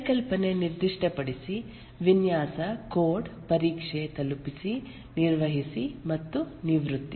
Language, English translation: Kannada, Conceptualize, specify, design, code, test, deliver, maintain and retire